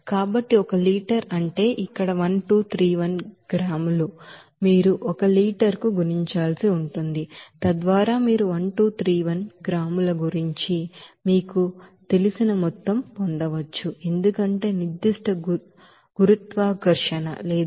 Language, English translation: Telugu, So one liter means here 1231 gram you have to multiply to this one liter so that you can get total you know of 1231 gram because the specific gravity is 1